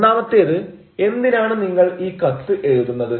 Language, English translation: Malayalam, the first is now why you are writing this letter